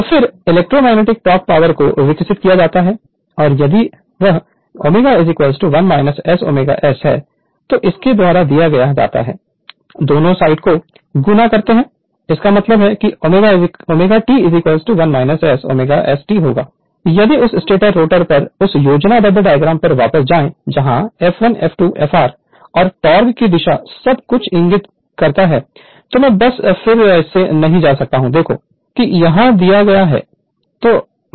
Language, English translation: Hindi, So, electromagnetic torque is developed and given by if it if it is omega is equal to 1 minus S omega S both side you multiply by t right; that means, omega T will be 1 minus S omega S T if you go back to that the that schematic diagram on the stator rotor where f 1 f 2 f r and torque is torque direction of torque everything is pointed out I am not just going back again right just look into that here it is given